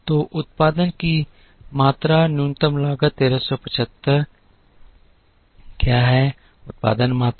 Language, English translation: Hindi, So, what are the production quantities the minimum cost is 1375, what are the production quantities